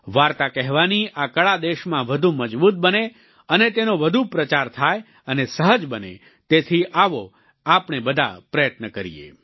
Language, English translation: Gujarati, May this art of storytelling become stronger in the country, become more popularized and easier to imbibe This is something we must all strive for